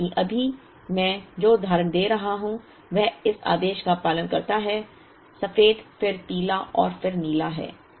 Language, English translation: Hindi, Though, the example that I am giving right now follows the order: white then yellow and then blue